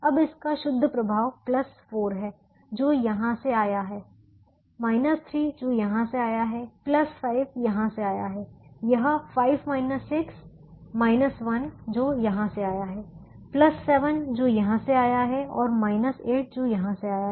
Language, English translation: Hindi, now the net effect of this is plus four, which comes from here, minus three, which comes from here, plus five, which comes from here